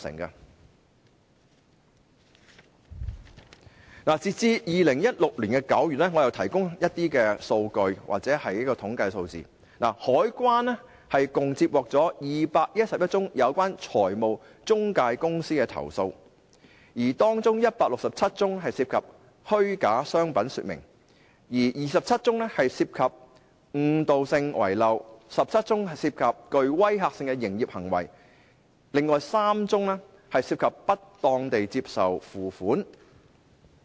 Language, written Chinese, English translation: Cantonese, 我提供一些數據或統計數字，截至2016年9月，香港海關共接獲211宗有關財務中介公司的投訴，當中167宗涉及虛假商品說明、27宗涉及誤導性遺漏、14宗涉及具威嚇性的營業行業，另外3宗涉及不當地接受付款。, Let me provide some data or statistical figures . As at September 2016 the Customs and Excise Department has received 211 complaints related to intermediaries in total . Among these complaints 167 involve false trade descriptions 27 involve misleading omissions 14 involve intimidating operating trades and the remaining three involve wrongful acceptance of payments